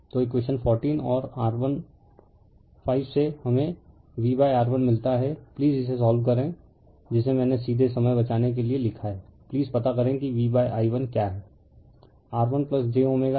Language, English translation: Hindi, So, from equation 14 and your 15 we get V upon R 1, you please solve this one right I have written directly to save time you please find out what is v upon i 1